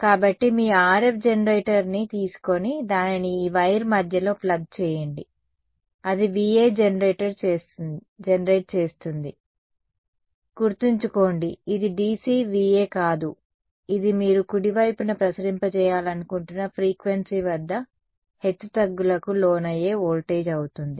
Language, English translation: Telugu, So, that is one take your RF generator and plug it into the middle of this wire so, that is going to generate a V A; now remember this is not DC VA right this is going to be a voltage that is fluctuating at the frequency you want to radiate at right